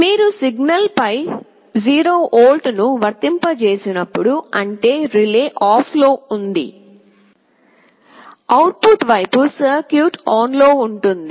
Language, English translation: Telugu, When you are applying a 0 volt on the signal; that means, relay is OFF, but on the output side the circuit will be on